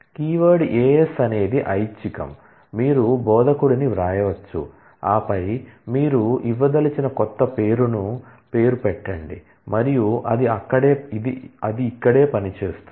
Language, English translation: Telugu, Keyword AS is optional you can just write instructor, and then the name the new name that you want to give and that itself will work here